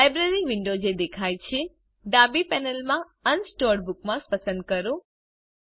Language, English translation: Gujarati, In the Library window that appears, from the left panel, select Unsorted bookmarks